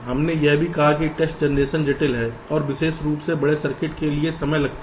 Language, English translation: Hindi, we also said the test generation is complex and it takes time, particularly for larger circuits